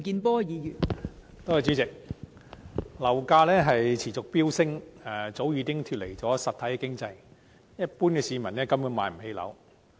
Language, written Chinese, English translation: Cantonese, 代理主席，樓價持續飆升，早已脫離實體經濟，一般市民根本無法買樓。, Deputy President the soaring property prices have long been detached from the real economy . Ordinary people can hardly afford to buy their own homes